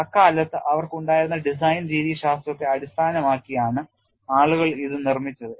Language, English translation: Malayalam, People built it based on what were the design methodologies that they had at that point in time